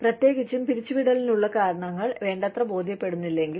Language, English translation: Malayalam, Especially, if the reasons for the layoff, are not convincing enough